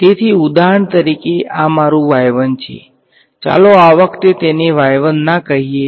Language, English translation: Gujarati, So, for example, this is your y 1 no let us not call it y 1 this time